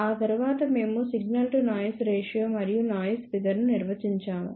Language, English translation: Telugu, After that we defined signal to noise ratio and noise figure